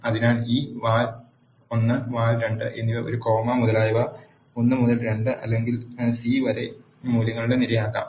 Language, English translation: Malayalam, So, this val 1 and val 2 can be array of values such as one to 2 or c of one comma 3 etcetera